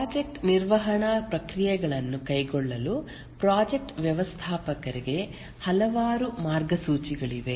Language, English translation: Kannada, There are several guidelines which have come up for the project manager to carry out the project management processes